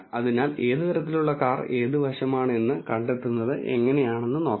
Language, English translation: Malayalam, So, let us see how to find out which side belongs to which car type